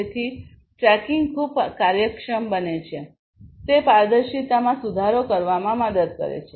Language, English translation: Gujarati, So, tracking becomes a very efficient so, that basically helps in improving the transparency